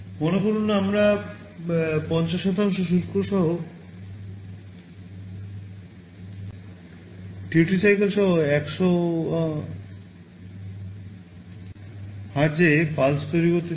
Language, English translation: Bengali, Suppose, we want to generate a 100 Hz pulse with 50% duty cycle